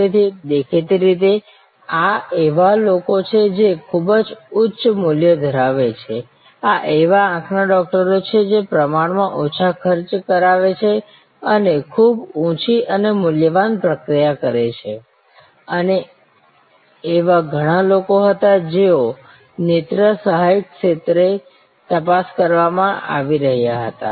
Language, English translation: Gujarati, So; obviously, these are people who are very high valued, few of them relatively less expensive, but also high valued process owners, the eye doctors and there were lot of people who were getting screened at the ophthalmic assistant level